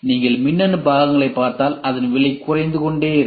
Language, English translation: Tamil, If you look at it electronic parts; electronic parts the price keeps slashing down